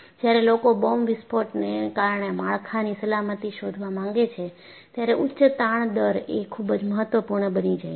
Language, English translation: Gujarati, High strain rate is becoming very important, when people want to find out safety of structures due to bomb blast